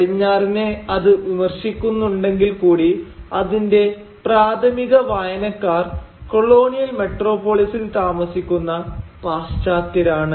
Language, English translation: Malayalam, And, in spite again of all its criticism of the West, its primary readership was a western audience, was people located in the colonial metropolis